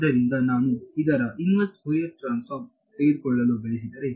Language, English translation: Kannada, So, if I want to take the inverse Fourier transform of this